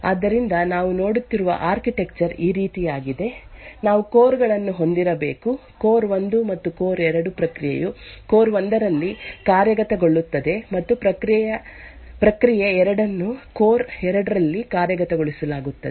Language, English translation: Kannada, So the architecture we are looking at is something like this, we have to cores; core 1 and core 2, the process is executing in core 1 and process two is executed in core 2